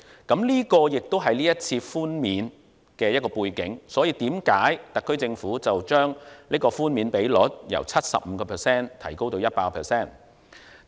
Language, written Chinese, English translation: Cantonese, 這個亦是這次寬免的背景，所以特區政府將寬免比率由 75% 提高至 100%。, This is also the background to the SAR Governments current increase of the concession rate from 75 % to 100 %